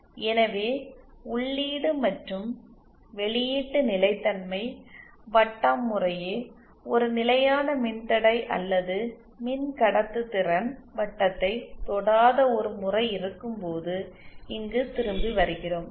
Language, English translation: Tamil, So coming back here when we have a case like this where input and output stability circle do not touch a constant resistance or constant conductance circle respectively